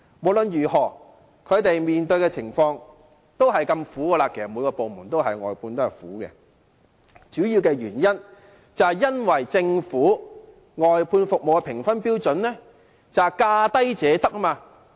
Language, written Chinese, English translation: Cantonese, 不論是哪個部門的外判員工，他們面對的情況同樣困苦，主要原因是政府外判服務的評分標準是"價低者得"。, Regardless of to which department the outsourced workers are attached the plight faced by them is the same . The main reason is that under the Governments assessment criteria in outsourcing the lowest bid wins